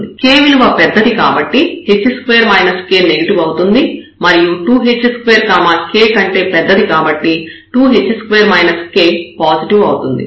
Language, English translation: Telugu, So, k is larger this is a negative number and then 2 h square is bigger than k, so this is a positive number